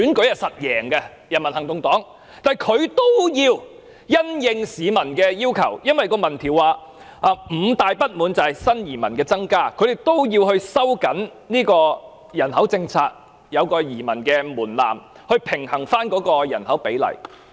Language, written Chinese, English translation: Cantonese, 由於民調指出新移民的增加是市民五大不滿之一，所以新加坡政府需要收緊人口政策，設有移民的門檻以平衡人口比例。, As the opinion poll shows that the hike in new immigrants is one of the five grievances of the citizens the Singapore Government needs to tighten its population policy and sets an immigration threshold to balance the proportions in population